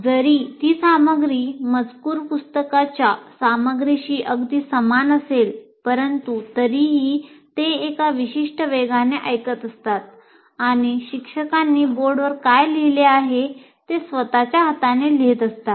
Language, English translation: Marathi, Though that material may be very similar to the textbook material, but still you are listening at a particular pace and writing in your own hands what the teacher has written on the board